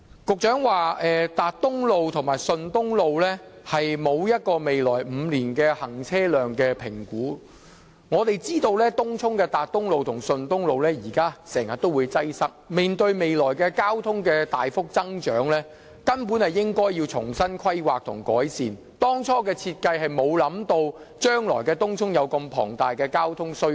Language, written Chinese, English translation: Cantonese, 局長說沒有就達東路和順東路未來5年的行車量/容車量比率進行估算，但我們知道東涌達東路和順東路現時經常出現擠塞，面對未來交通需求大幅增長，根本便應要重新規劃改善，因為最初設計時，根本沒有想到東涌將來會有如此龐大的交通需求。, The Secretary says that he does not have an estimation of the vc ratio of Tat Tung Road and Shun Tung Road for the coming five years but we know that there have been frequent traffic congestions at Tat Tung Road and Shun Tung Road in Tung Chung . Facing the tremendous growth in traffic demand in the future the traffic network actually has to be planned again and improved as such a great increase in traffic demand in Tung Chung was not envisaged when the network was first designed